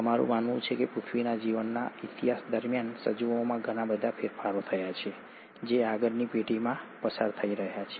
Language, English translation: Gujarati, We believe, during the course of history of earth’s life, a lot of changes happened in organisms which went on, being passed on to subsequent generations